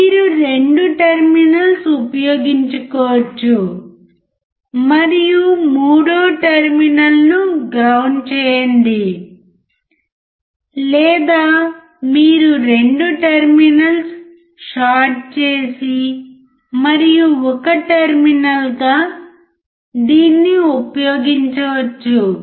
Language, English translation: Telugu, You can use the 2 terminals and the third terminal you can ground it; or 2 terminals you can short and one terminal can use it